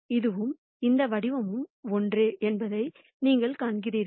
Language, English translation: Tamil, You notice that, this and this form are the same